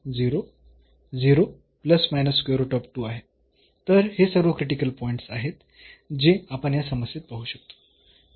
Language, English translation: Marathi, So, all these are the critical points which we can see here in this problem